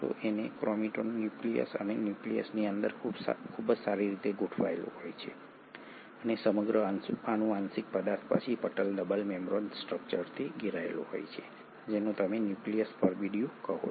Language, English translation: Gujarati, And this chromatin is very well organised inside the nucleus and the nucleus and the entire genetic material then gets surrounded by a membrane double membrane structure which is what you call as the nuclear envelope